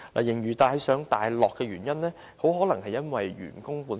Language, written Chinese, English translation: Cantonese, 盈餘大上大落的原因很可能源自員工的成本。, The sharp fluctuations in the surplus can very likely be attributed to staff costs